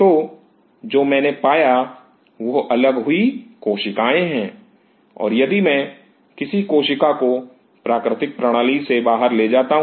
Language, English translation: Hindi, So, what I have are individual cells and if I take this cell outside the system